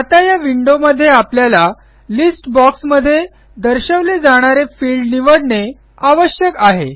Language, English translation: Marathi, Now, in this window, we need to choose the field that will be displayed in the List box